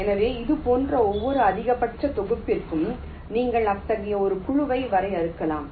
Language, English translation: Tamil, so for every such maximum set you can define such a clique